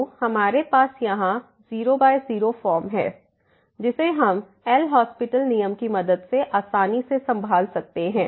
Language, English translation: Hindi, So, we have here 0 by 0 form which we can easily handle with the help of L’Hospital rule